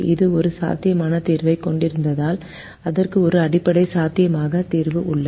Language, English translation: Tamil, if it has a feasible solution, then it has a basic feasible solution